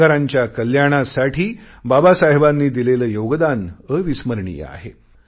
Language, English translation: Marathi, One can never forget the contribution of Babasaheb towards the welfare of the working class